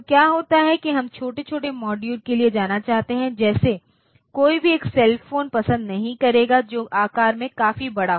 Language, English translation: Hindi, So, what happens is that we want to go for miniaturized modules, like nobody will like a cell phone which is which is quite large in size ok